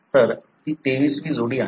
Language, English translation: Marathi, So, that is the 23rd pair